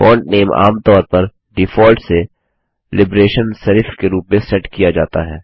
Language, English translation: Hindi, The font name is usually set as Liberation Serif by default